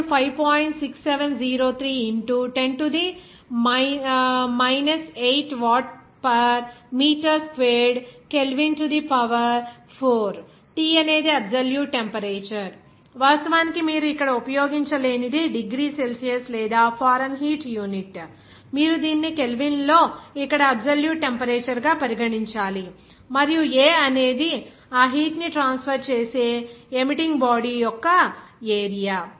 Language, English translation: Telugu, 6703 into 10 to the minus 8 watt per meter squared Kelvin to the power 4, T is the absolute temperature, of course should be absolute temperature you cannot use here only that in degrees Celsius or Fahrenheit unit, you have to consider it as absolute temperature here in Kelvin, and A is the area of the emitting body through which that heat is transferred